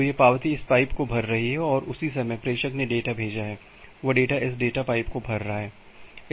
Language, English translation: Hindi, So, this acknowledgement is filling up this pipe and at the same time the sender has sending the data that data is filling up this data pipe